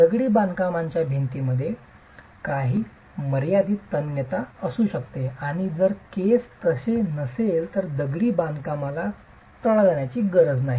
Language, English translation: Marathi, The masonry wall might have some finite tensile strength and if the case is so, the masonry need not crack